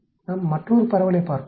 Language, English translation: Tamil, We will look at another distribution